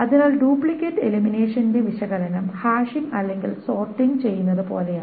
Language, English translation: Malayalam, So the analysis of duplicate elimination is the same as doing the hashing or the sorting